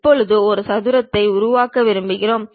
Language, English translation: Tamil, Now, maybe we want to construct a square